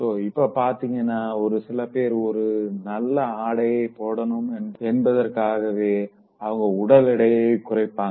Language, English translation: Tamil, So like for instance, somebody wants to reduce her weight, just because she wants to wear a good dress